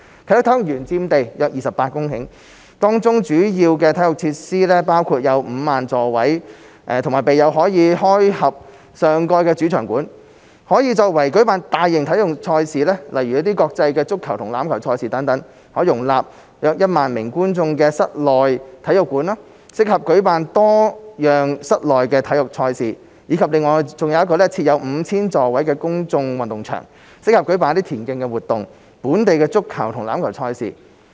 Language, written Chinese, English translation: Cantonese, 啟德體育園佔地約28公頃，當中主要體育設施包括：設有5萬座位和備有可開合上蓋的主場館，可用作舉辦大型體育賽事，如國際足球和欖球賽事等；可容納1萬名觀眾的室內體育館，適合舉辦多樣室內體育賽事；以及設有 5,000 座位的公眾運動場，適合舉辦田徑活動、本地足球和欖球賽事。, With an area of around 28 hectares Kai Tak Sports Park has major sports facilities including a main stadium with a seating capacity of 50 000 and a retractable roof that can host large - scale sports events such as international football and rugby matches; an indoor sports centre with a seating capacity of up to 10 000 seats that caters for different events; and a public sports ground with a seating capacity of 5 000 which is suitable for hosting athletics meets as well as local football and rugby matches